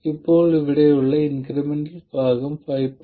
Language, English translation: Malayalam, Now, the incremental part here, the extra over this 5